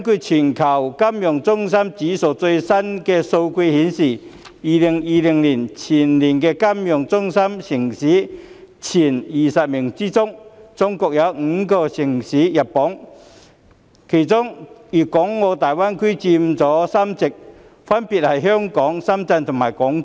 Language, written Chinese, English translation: Cantonese, 全球金融中心指數的最新數據顯示，在2020年全球金融中心前20名中，中國有5個城市榜上有名，當中大灣區的城市佔據3席，分別是香港、深圳和廣州。, The latest data from the Global Financial Centres Index Report indicate that five cities of China rank the top 20 global financial centres in 2020 amongst which three are GBA cities viz . Hong Kong Shenzhen and Guangzhou